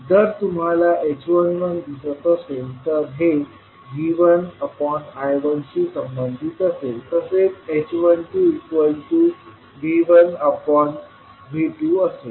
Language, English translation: Marathi, So h11 you get V1 upon I1 and h21 you get I2 upon I1